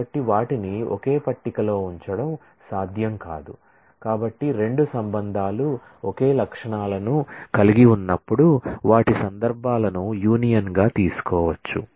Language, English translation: Telugu, So, they cannot be put to a same table so when 2 relations have the same set of attributes then their instances can be taken a union of